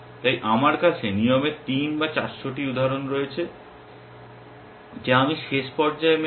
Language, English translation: Bengali, So I have 3 or 400 instances of rules which I match in the last cycle